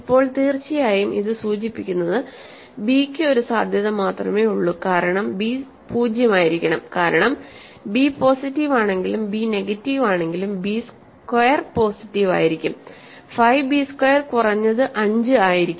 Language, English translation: Malayalam, Now, certainly this implies that there is only b has only one possibility because b must be 0, because as soon b is positive or b is negative, but nonzero b squared will be positive and 5 b squared will be at least 5